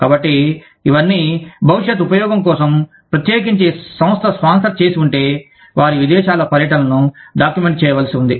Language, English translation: Telugu, So, all of this has to be documented, for future use, especially if the organization has sponsored, their visit abroad